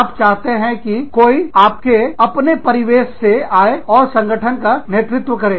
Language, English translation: Hindi, You need somebody to, from within your own milieu, to come and head the organization